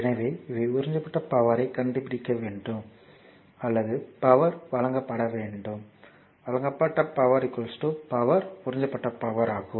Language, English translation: Tamil, So, these are the you have to find out power absorbed or power supplied right, power supplied must be is equal to power absorbed